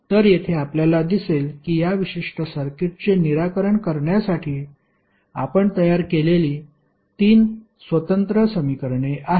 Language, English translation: Marathi, So here you will see that there are 3 independent equations we have created to solve this particular circuit